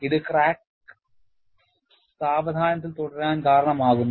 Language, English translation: Malayalam, This causes crack to proceed slowly